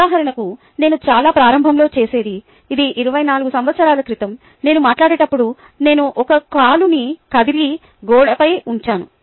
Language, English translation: Telugu, for example, what i used to do very early ah, this was twenty four years ago is while i talked, i used to move one leg and put it on the wall